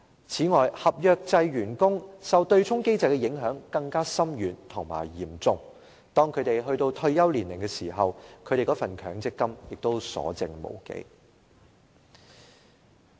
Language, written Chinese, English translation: Cantonese, 此外，合約制員工受對沖機制的影響更為深遠和嚴重，當他們到達退休年齡時，其強積金結餘亦所剩無幾。, Moreover staff members on contract terms are subject to a more far - reaching and serious impact inflicted by the offsetting mechanism . When they reach retirement age they will have hardly any MPF balance left